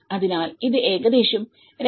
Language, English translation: Malayalam, So, this is about 2